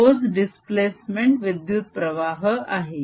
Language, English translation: Marathi, that is a displacement current